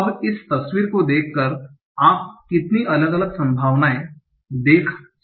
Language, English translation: Hindi, Now, looking at this picture, how many different possibilities can you see